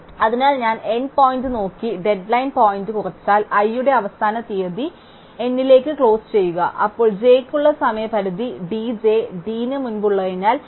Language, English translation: Malayalam, So, if I look at the n point and subtract the deadline point, the deadline point for i is closure to the n, then the deadline point for j, because d j is before d 1